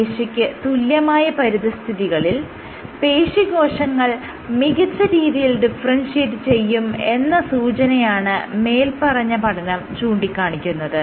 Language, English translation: Malayalam, So, this study suggested that muscle cells differentiate optimally on muscle like environments